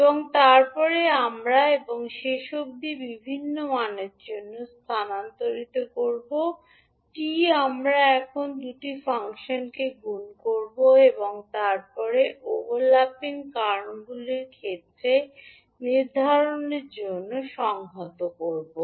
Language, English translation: Bengali, And then we will shift by t and finally for different value for t we will now multiply the two functions and then integrate to determine the area of overlapping reasons